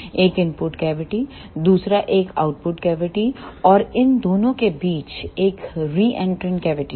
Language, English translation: Hindi, One is input cavity, another one is output cavity and and between these two there is a reentrant cavity